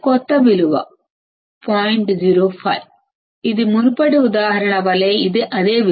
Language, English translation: Telugu, 05, this is same value like the previous example